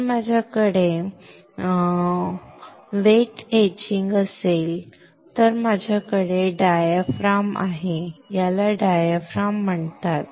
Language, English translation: Marathi, If I have wet etching then I have a diaphragm this is called a diaphragm alright